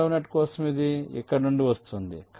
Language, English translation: Telugu, for the second net, it is coming from here, it is going here